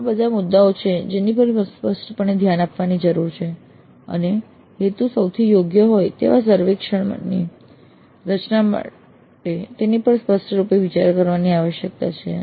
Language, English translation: Gujarati, But these are all the issues that need to be taken into account explicitly and they need to be considered explicitly in arriving at a survey form which is best suited for their purposes